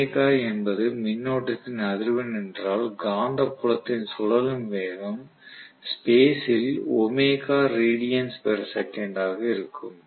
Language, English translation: Tamil, So I can say if omega is the frequency of the current then the rotating speed is going to be of the magnetic field that is going to be omega radiance per second in space